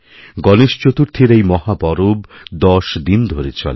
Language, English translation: Bengali, Ganesh Chaturthi is a tenday festival